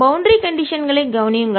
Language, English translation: Tamil, and notice the boundary conditions